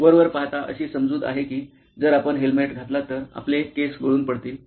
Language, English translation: Marathi, Apparently, also, there is a perception that if you wear a helmet it leads to hair loss